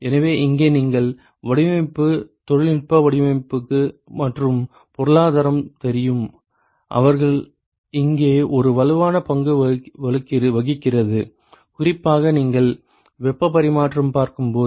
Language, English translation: Tamil, So, here you know the design the technical design and the economics, they play a strong role here, particularly when you look at heat exchange